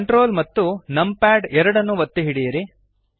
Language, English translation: Kannada, Hold ctrl and numpad2 the view pans upwards